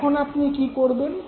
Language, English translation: Bengali, What you do now